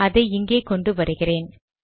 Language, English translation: Tamil, So let me bring it here